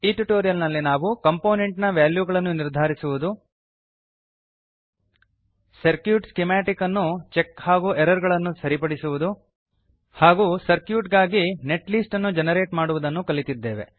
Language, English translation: Kannada, In this tutorial we learnt, To assign values to components To check and correct for errors in circuit schematic To generate netlist for circuit